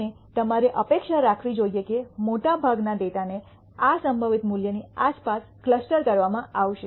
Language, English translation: Gujarati, And you should expect most of the data to be clustered around this most probable value